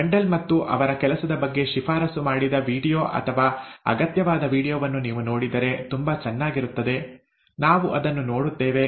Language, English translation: Kannada, It will be very nice if you can see the recommended video or the required video on Mendel and his work, we will see that, okay